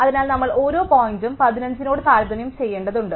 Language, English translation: Malayalam, So, we have to compare each point only against 15